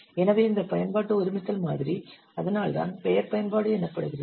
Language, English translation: Tamil, So this application composition model, that's why the name is application